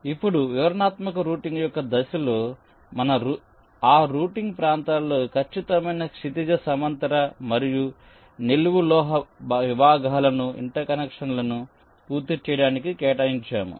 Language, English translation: Telugu, so now, in the step of detailed routing, we actually assign exact horizontal and vertical metal segments in those routing regions so as to complete the inter connections